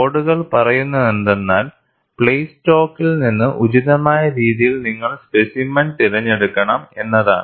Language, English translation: Malayalam, And what the codes say is you have to select the specimen, appropriately from the plate stock